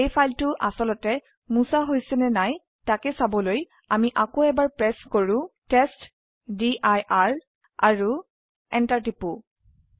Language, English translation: Assamese, To see that the file has been actually removed or not.Let us again press ls testdir and press enter